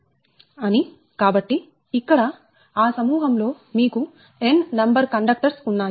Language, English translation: Telugu, so here in that group you have n number of conductors, right